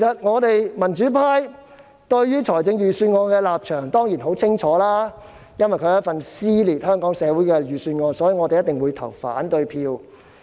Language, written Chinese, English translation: Cantonese, 我們民主派對預算案的立場當然十分清晰，因為它是一份撕裂香港社會的預算案，所以我們一定會投反對票。, The stance of us in the pro - democracy camp is very clear . Since it is a Budget tearing Hong Kong society apart we will definitely vote against it